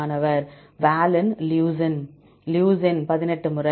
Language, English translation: Tamil, Valine, leucine Leucine 18 times